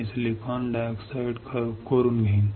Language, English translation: Marathi, I will etch the silicon dioxide